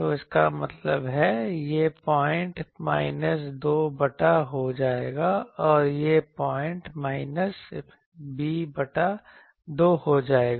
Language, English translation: Hindi, So that means, this point will be minus a by 2 and this point will be minus b by 2